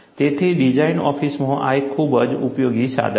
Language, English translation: Gujarati, So, in a design office, this is a very useful tool